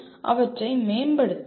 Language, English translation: Tamil, They can be improved